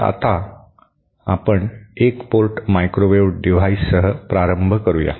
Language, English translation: Marathi, So, let us start with one port microwave devices